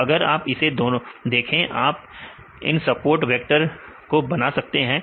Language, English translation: Hindi, So, if you see this you can have make this support vectors